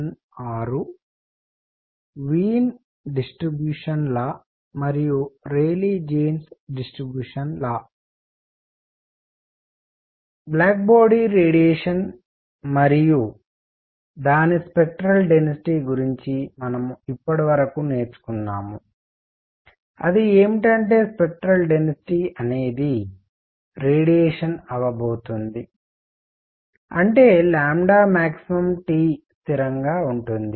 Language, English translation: Telugu, So, what we have learnt so far about black body radiation and its spectral density is that the spectral density is going to be the radiation is such that lambda max times T is a constant